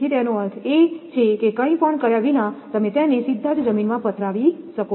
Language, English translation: Gujarati, So, that means, without anything you just can directly lay in the soil